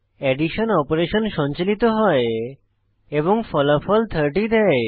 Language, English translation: Bengali, The addition operation is performed and the result 30 is displayed